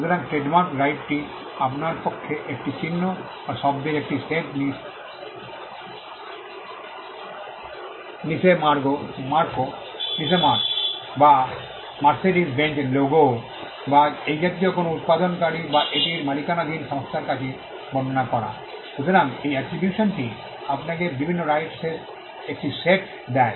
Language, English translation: Bengali, So, in trademark the right is for you to describe a symbol or a set of words the Niche mark or the Mercedes Benz logo or any of these things to a manufacturer or to a company which owns it; so this attribution gives you a set of rights that are different